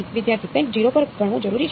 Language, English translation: Gujarati, Has something has to counted at 0